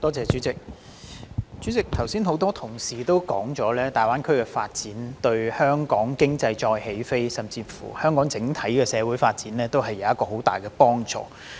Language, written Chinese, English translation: Cantonese, 代理主席，剛才很多同事提到，粵港澳大灣區的發展對香港經濟再起飛，甚或對香港整體社會發展，均有很大幫助。, Deputy President just now many colleagues said that the development of the Guangdong - Hong Kong - Macao Greater Bay Area GBA would greatly benefit Hong Kong for it can enable our economy to take off again and even boost the overall development of our society